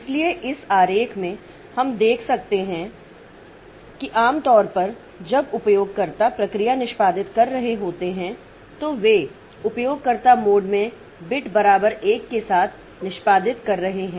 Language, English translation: Hindi, So, in this diagram, so you can see that normally when the user processes are executing, so they are executing with in user mode with the mode beat equal to 1